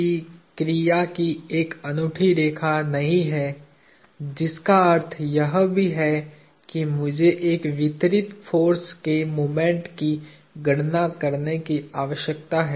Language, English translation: Hindi, F1 does not have a unique line of action, which also means that I need to compute the moment of a distributed force